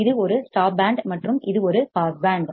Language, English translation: Tamil, This is a stop band and this is a pass band